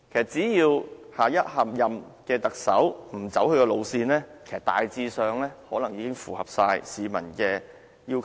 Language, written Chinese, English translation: Cantonese, 只要下任特首不走他的路線，其實大致上已經符合市民的要求。, As long as the next Chief Executive does not inherit LEUNG Chun - yings political line he or she can more or less meet the requirements of the public